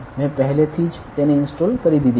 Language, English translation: Gujarati, I have already installed it ok